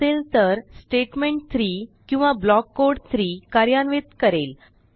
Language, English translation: Marathi, Else it executes statement 3 or block code 3